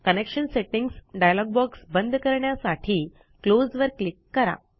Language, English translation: Marathi, Click on the Close button to close the Connection Settings dialog box